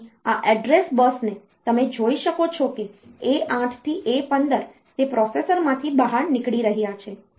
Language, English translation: Gujarati, So, this address bus you can see the A 8 to A 15 it is going out from the processor